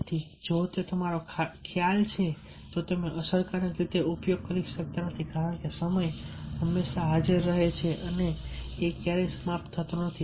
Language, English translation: Gujarati, so if that is your concept, then you cannot effectively use because timing is always present and never ending